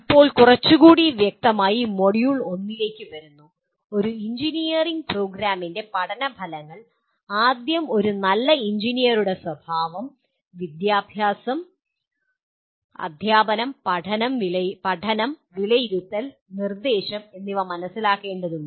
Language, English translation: Malayalam, Now coming to module 1 a little more specifically, learning outcomes of an engineering program, first require an understanding of characteristic of a good engineer, education, teaching, learning, assessment, and instruction